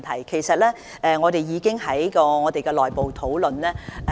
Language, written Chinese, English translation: Cantonese, 其實，我們已經為此進行內部討論。, In fact we have held internal discussions about this